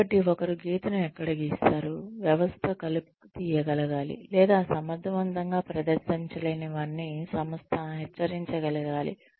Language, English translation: Telugu, So, where does one draw the line, the system should be able to weed out, or should be able to warn, the organization regarding in effective performers